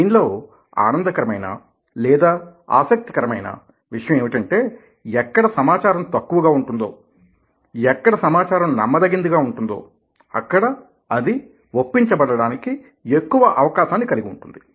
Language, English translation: Telugu, now, the fun part of it, the interesting part of it, is that where information is less and where information is credible, there is a greater chance of being persuaded by it